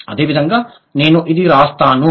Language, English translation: Telugu, Similarly, so this is what I will write